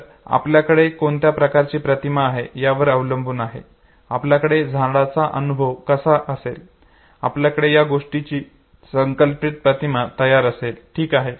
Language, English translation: Marathi, So depending on what type of exposure you have, what type of experience you have of a tree you will have the ready made example the image of that very concept, okay